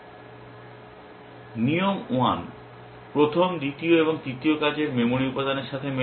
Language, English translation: Bengali, Rule 1 matches with first, second and third working memory element